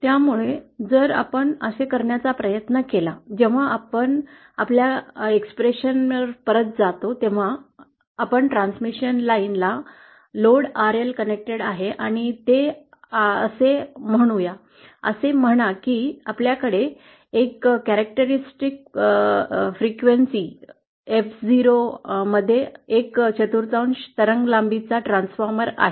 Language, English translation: Marathi, So if we try to do that, when we go back to our expression, let’s suppose we have a transmission line with load RL connected and it has, say we have a quarter wave length transformer at a certain frequency F 0, say